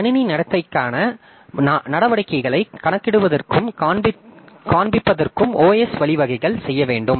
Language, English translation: Tamil, So, OS must provide means of computing and displaying measures of system behavior